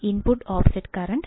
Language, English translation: Malayalam, Then the input offset current